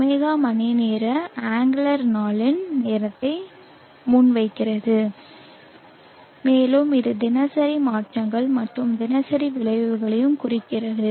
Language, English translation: Tamil, the hour angler presents the time of the day and which also represents the diurnal changes and diurnal effects